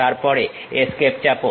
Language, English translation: Bengali, Then press Escape